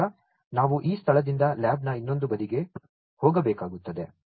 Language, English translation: Kannada, So, we will have to move from this place to the other side of the lab